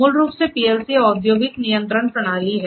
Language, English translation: Hindi, So, basically PLC is the industrial control system